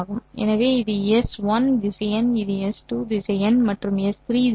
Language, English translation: Tamil, So this is S 1 vector this is S2 vector and this is S3 vector